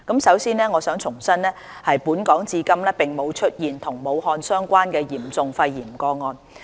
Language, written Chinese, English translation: Cantonese, 首先，我想重申本港至今並無出現與武漢相關的嚴重肺炎個案。, First of all I would like to reiterate that no serious pneumonia case related to those in Wuhan has been detected in Hong Kong so far